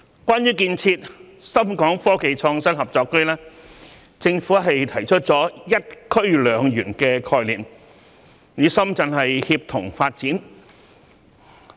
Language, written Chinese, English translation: Cantonese, 關於建設深港科技創新合作區，政府提出了"一區兩園"的概念，與深圳協同發展。, As for the development of the ShenzhenHong Kong Innovation and Technology Co - operation Zone the Government introduces the concept of one zone two parks for synergistic development with Shenzhen